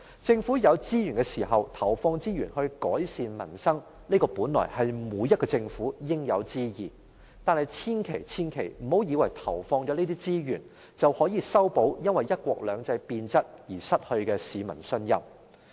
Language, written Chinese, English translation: Cantonese, 政府有資源時，投放資源於改善民生，這本來是每個政府應有之義，但千萬不要以為投放這些資源，便可以修補因為"一國兩制"變質而失去的市民信任。, It is the due responsibility of the Government to inject resources to improve peoples livelihood when it has the resources . It should not think that simply by injecting these resources the public confidence that it has lost due to degeneration of one country two systems can be regained